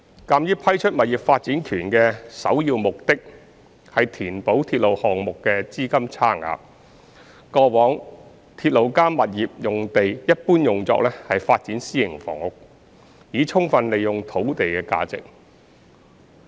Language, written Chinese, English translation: Cantonese, 鑒於批出物業發展權的首要目的是填補鐵路項目的資金差額，過往"鐵路加物業"用地一般用作發展私營房屋，以充分利用土地的價值。, Given that the primary purpose of granting property development right is to bridge the funding gap of a railway project the RP sites were generally used for development of private housing in the past to maximize the value of the sites